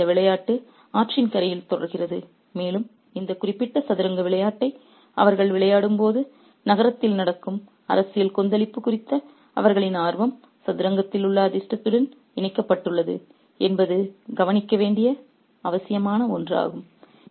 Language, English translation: Tamil, So, the game continues on the bank of the river and it's highly important to notice that their interest in the political turmoil that's happening in the city right then while they're playing on this particular game of chess is connected to the fortunes in the chess